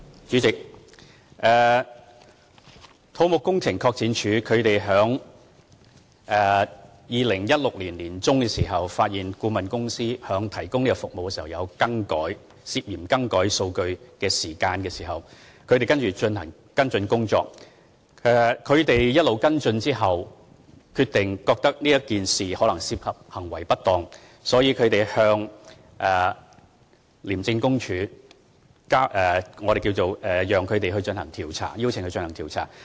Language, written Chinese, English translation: Cantonese, 主席，土木工程拓展署在2016年年中發現顧問公司在提供服務時涉嫌更改數據，他們在進行跟進工作後決定，這事可能涉及行為不當，所以向廉署舉報，邀請他們進行調查。, President in mid - 2016 CEDD found that the consultant was suspected of tampering data in the provision of services . After taking follow - up actions CEDD found that misconduct might be involved and thus it reported to ICAC for investigation